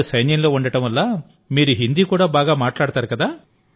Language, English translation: Telugu, Being part of the army, you are also speaking Hindi well